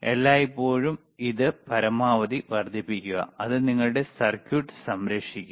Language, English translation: Malayalam, Always make it maximum, that will that will save your circuit, all right